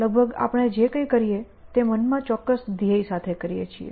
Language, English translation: Gujarati, Anyway almost everything we do has a certain goal in mind